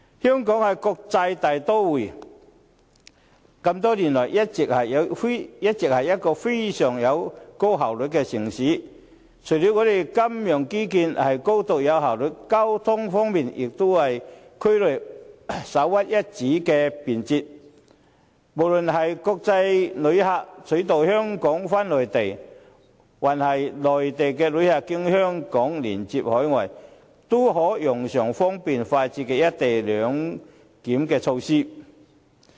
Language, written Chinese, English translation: Cantonese, 香港是一個國際大都會，多年來均是一個效率極高的城市，除了金融基建高度有效率之外，交通方面也是區內首屈一指的便捷，無論是國際旅客取道香港返回內地，還是內地旅客經香港連接海外，均可用上方便快捷的"一地兩檢"措施。, Hong Kong is a metropolis noted for its high efficiency over all the years . While Hong Kongs financial infrastructure is highly efficient its transport system is also the most convenient in the region . All passengers be they international passengers going to the Mainland via Hong Kong or Mainland passengers stopping over in Hong Kong en route to other countries will be able to benefit from speed and convenience offered by co - location clearance